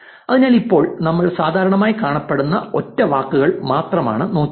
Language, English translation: Malayalam, So, right now we have looked at only singular words that are appearing most commonly